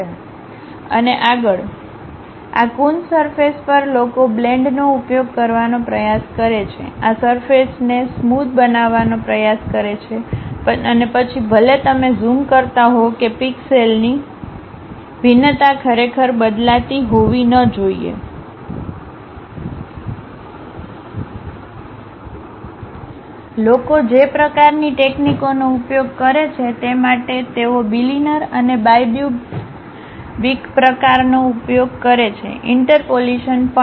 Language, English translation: Gujarati, And further on these Coons surfaces, people try to use a blending, try to smoothen these surfaces and even if you are zooming that pixel variation should not really vary, that kind of techniques what people use, for that they use bilinear and bi cubic kind of interpolations also